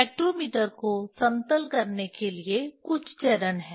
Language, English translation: Hindi, There are few steps for leveling the spectrometer